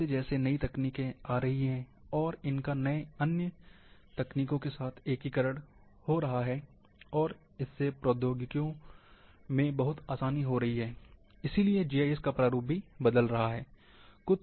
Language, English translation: Hindi, As the new technologies are coming, integrations with other technologies are becoming much easier, and therefore, the face of GIS is also changing